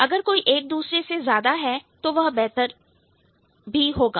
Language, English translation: Hindi, If one is more, the other one is also going to be more or better